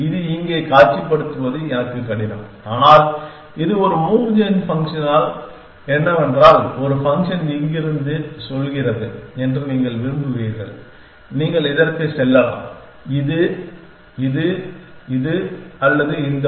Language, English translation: Tamil, It is a difficult for me to visualize it here, but it is what a move gen function telling you will that one function is saying from here you can go to this to this to this to this or to this one